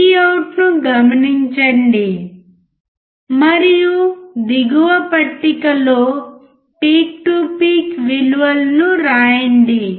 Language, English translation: Telugu, Observe Vout and note down the peak to peak values in table below